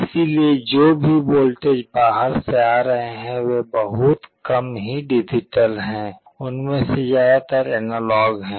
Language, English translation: Hindi, So, whatever voltages are coming from outside they are very rarely digital in nature, most of them are analog